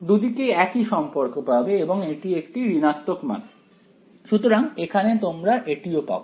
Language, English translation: Bengali, You get the same relation on both sides and it is a negative quantity right, so that is what you get over here alright